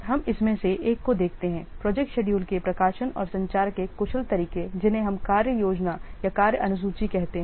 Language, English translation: Hindi, Let's see one of the efficient way or best way of publishing and communicating the project schedules that we call as a work plan or a work schedule